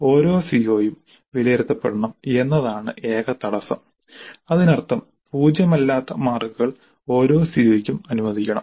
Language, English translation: Malayalam, The only constraint is that every CO must be assessed which means that non zero marks must be allocated to every CO